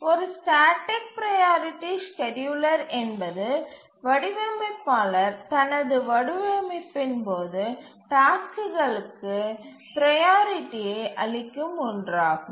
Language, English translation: Tamil, A static priority scheduler is one where the designer assigns priority to tasks during his design